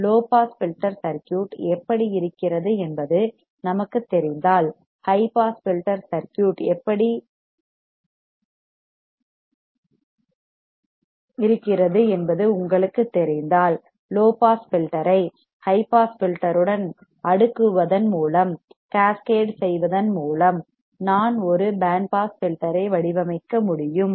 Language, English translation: Tamil, If we know how a low pass filter circuit is, if you know how high pass filter circuit is then by cascading low pass filter with a high pass filter, we can design a band pass filter